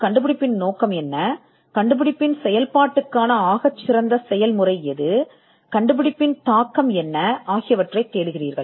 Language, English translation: Tamil, Like, what is the object of the invention, what is the best method of working the invention and what is the impact of the invention